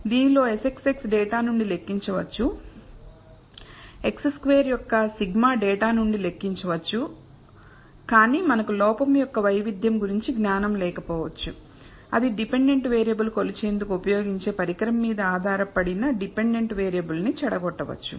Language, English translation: Telugu, In this the S xx can be computed from data, sigma of x i squared can be computed from data, but we may or may not have knowledge about the variance of the error which corrupts the dependent variable that depends on the instrument that was used to measure the dependent variable